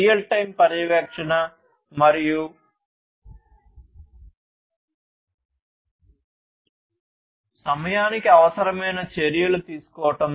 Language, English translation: Telugu, Real time monitoring and taking required action on time